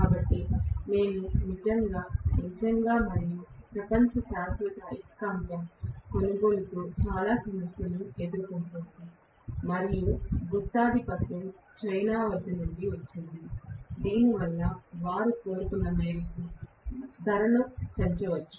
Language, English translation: Telugu, So, we are really, really, and our world is having a lot of problems with purchase of permanent magnet and a monopoly is from China because of which they can raise the price to any extent they want